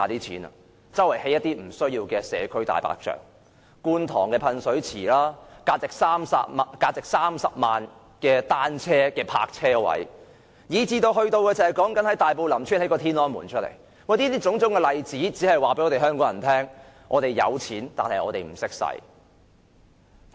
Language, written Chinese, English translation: Cantonese, 便是四處興建不必要的社區"大白象"，例如觀塘的噴水池、價值30萬元的單車泊車位，以至在大埔林村興建"天安門"，種種例子在在告訴香港人，我們有錢，但我們不懂如何運用。, They come up with all sorts of white elephant projects eg . the fountain in Kwun Tong bicycle parking lots worth 300,000 each as well as building the Tiananmen Square in Lam Tsuen Tai Po . So all of these are telling the people of Hong Kong that we have the money but we do not know how to spend it